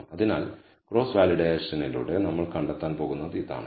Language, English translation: Malayalam, So, this is what we are going to find out by cross validation